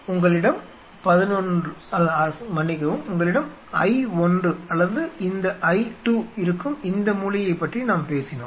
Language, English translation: Tamil, And we talked about either this corner where you have either I 1 or this corner I 2